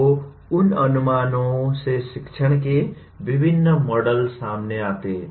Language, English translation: Hindi, So those assumptions lead to different models of teaching